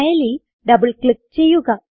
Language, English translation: Malayalam, Double click on the file